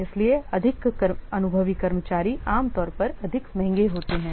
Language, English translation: Hindi, So, but you know that more experienced staff obviously they will be more expensive